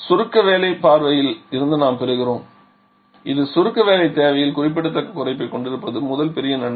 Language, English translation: Tamil, So, we are gaining from the compression work point of view and that is the first big advantage we are having significant reduction in the compression work requirement